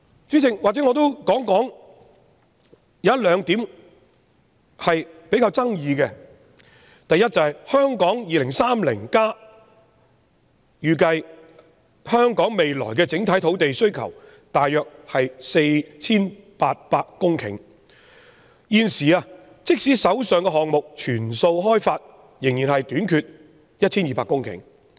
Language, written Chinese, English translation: Cantonese, 主席，或許讓我再提出較具爭議的兩點：第一，《香港 2030+》預計香港未來的整體土地需求約為 4,800 公頃，即使把現時已有的項目全數開發，仍欠缺 1,200 公頃。, President perhaps let me raise two more points which are relatively controversial . First as estimated by Hong Kong 2030 our overall land requirement would be about 4 800 hectares in the future . Even with the development of all existing projects there would still be a shortfall of about 1 220 hectares